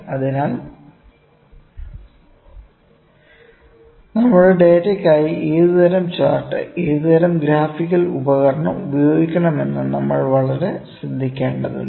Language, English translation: Malayalam, So, we have to be very careful that which kind of chart, which kind of graphical tool always using for our data